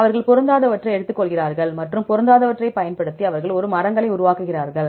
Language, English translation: Tamil, They take the mismatches and using the mismatches they will construct a trees